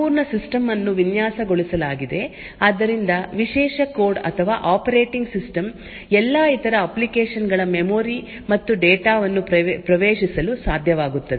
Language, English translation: Kannada, Now the entire system is designed in such a way So, that the privileged code or operating system is able to access the memory and data of all other applications